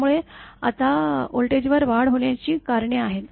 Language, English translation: Marathi, So, now causes of switching surge over voltages